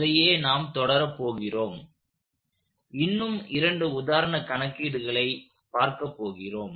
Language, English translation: Tamil, We are going to continue that process, we are going to look at a couple more example problems